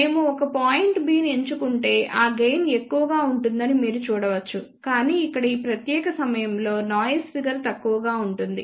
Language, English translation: Telugu, If we choose a point B you can see that gain will be higher, but noise figure will be poor at this particular point over here